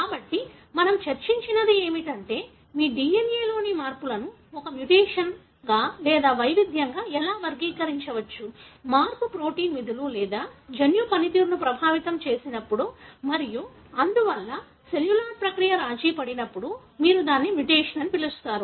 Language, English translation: Telugu, So, what we have discussed is how changes in your DNA can be grouped either as a mutation or as a variation when the change affects the way the protein functions or the gene functions and therefore the cellular process is compromised you call it as mutation